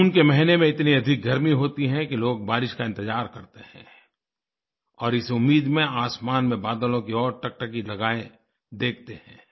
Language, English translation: Hindi, The month of June is so hot that people anxiously wait for the rains, gazing towards the sky for the clouds to appear